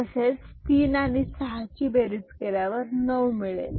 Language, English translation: Marathi, Similarly, 3 with 6 you get 9 absolutely no issue